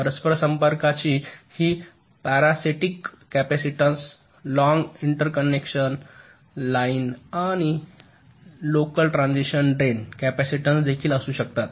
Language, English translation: Marathi, there can be the parasitic capacitance of the interconnects, this long interconnection line, and also the drain capacitance of the local transistors